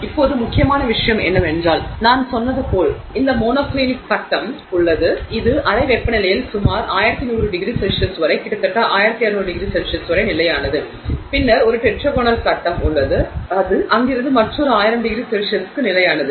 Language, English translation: Tamil, Now, the important thing is as I said there is this monoclinic phase which is stable at room temperature all the way up to about 1,100 degrees centigrade, nearly 1,200 degrees c centigrade